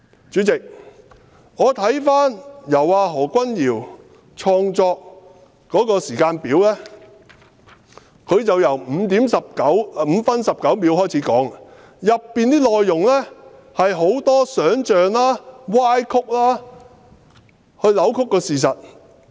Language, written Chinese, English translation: Cantonese, 主席，我看過何君堯議員創作的時間表，他由5分19秒開始起計，當中內容大多數是想象和歪曲的，扭曲了事實。, President I have read the chronology of events created by Dr Junius HO . He started marking the time at 5 minute 19 second . Most of the contents were imaginary and distorted and riddled with twisted facts